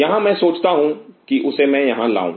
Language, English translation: Hindi, Here I thought that I bring it back